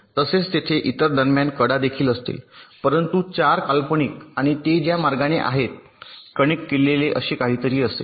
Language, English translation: Marathi, ok, similarly, there will be edges in between the other also, but the four imaginary ones and the way they are connected will be something like this